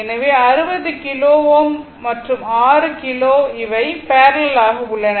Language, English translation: Tamil, So, 60 ohm kilo ohm and 6 kilo ohm; they are in parallel, right